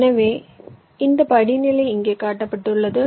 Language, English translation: Tamil, so this step is shown here